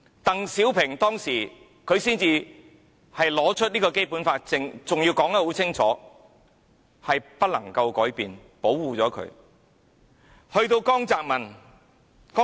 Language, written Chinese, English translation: Cantonese, 鄧小平當時才把《基本法》拿出來，還說得很清楚，要保護香港不能改變。, At that time DENG Xiaoping brought the Basic Law onto the table and made it clear that the way of life in Hong Kong would be preserved and remain unchanged